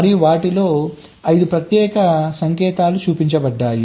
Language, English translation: Telugu, and these special signals, five of them are shown